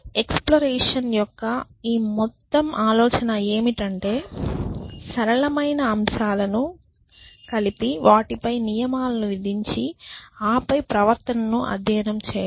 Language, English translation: Telugu, And so this whole idea of exploration is to put together simple elements impose rules upon them and then study the behavior